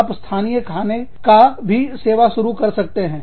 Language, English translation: Hindi, You could start serving, local meals also